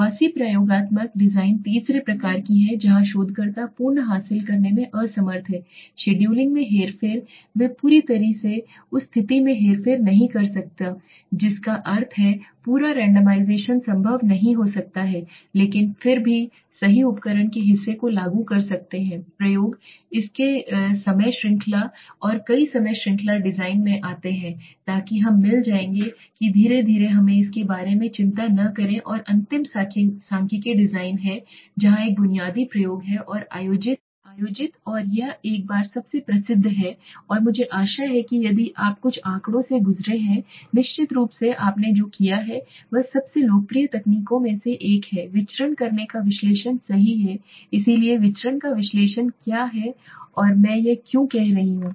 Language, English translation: Hindi, Quasi experimental designs are the third type where the researcher is unable to achieve full manipulation of scheduling they completely cannot manipulate the situation that means complete randomization may not be possible but can still apply part of the apparatus of the true experimentation time series and multiple time series design come into that so we will get into that slowly let us not worry about it last is statistical design where a basic experiments are conducted and this are the most famous once and I hope if you have gone through statistics some course you have done you must be knowing about one of the most popular techniques in the analysis of variance right so what is analysis of variance and why I m saying it